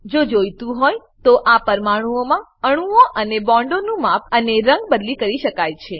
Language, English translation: Gujarati, Size and color of atoms and bonds in this molecule can be changed, if required